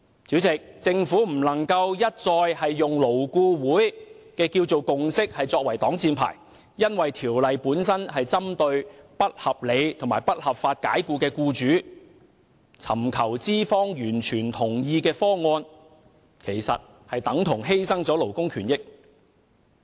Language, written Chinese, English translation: Cantonese, 主席，政府不能一再以勞顧會的共識作為擋箭牌，因為《條例草案》本身是針對不合理及不合法解僱僱員的僱主，而尋求資方完全同意的方案，其實等同犧牲勞工權益。, President the Government cannot repeatedly use the consensus of LAB as a shield because the Bill itself is targeted at employers who unreasonably and unlawfully dismiss their employees and seeking a solution totally agreeable to employers is actually tantamount to sacrificing labour rights and interests